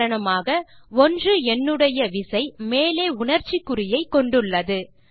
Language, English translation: Tamil, For example, the key with the numeral 1 has the exclamation mark on top